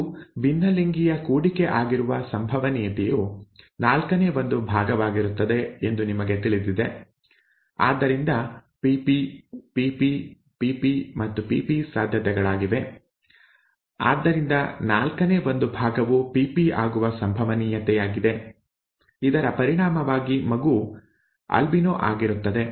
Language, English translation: Kannada, It would be one fourth the probability you know these these are heterozygous cross, therefore capital P capital P, capital P small p, small p capital P and small p small p are the possibilities, therefore one fourth is the probability that it will be small p small p, result in the child being albino